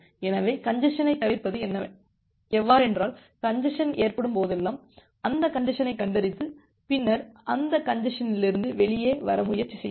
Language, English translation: Tamil, So, the congestion avoidance is that whenever there is a congestion, you detect that congestion and then try to come out of that congestion